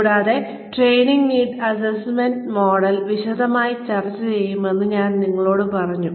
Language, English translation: Malayalam, And, I told you that, we will discuss, the training needs assessment model, in greater detail, today